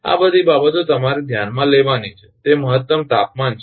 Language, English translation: Gujarati, All these things you have to consider one is that maximum temperature